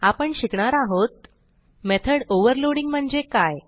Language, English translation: Marathi, In this tutorial we will learn What is method overloading